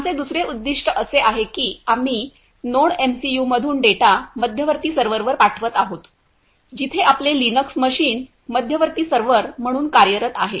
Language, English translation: Marathi, And our second objective is we are sending the data from the NodeMCU to the central server where our Linux machine is acting as a central server